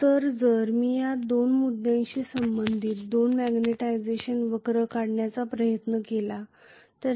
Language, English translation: Marathi, So if I tried to draw the two magnetization curves corresponding to these two points